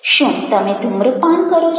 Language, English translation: Gujarati, are you smoking